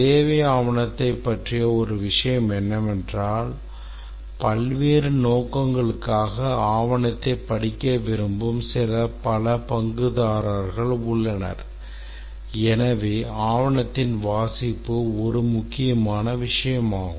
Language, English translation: Tamil, One thing about the requirement document is that there are many stakeholders who would write, who would like to read the document for various purposes and therefore readability of the document is an important concern